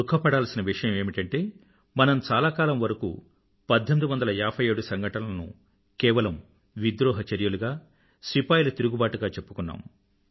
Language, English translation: Telugu, It is indeed sad that we kept on calling the events of 1857 only as a rebellion or a soldiers' mutiny for a very long time